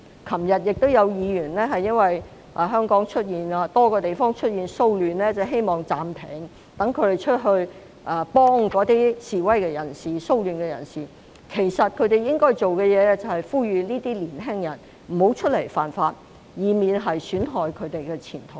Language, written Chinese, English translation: Cantonese, 昨天亦有議員因為香港多處出現騷亂而希望暫停會議，讓他們去協助參與示威及騷亂的人士，但他們應該要做的事情，其實是要呼籲這些年輕人不要犯法，以免損害自身前途。, Yesterday some Members wished to have the meeting suspended in light of the riots taking place in various places across Hong Kong so as to allow them to assist those participating in the protests and riots . Yet what they ought to do is actually to call on those young people not to break the law lest they would ruin their own future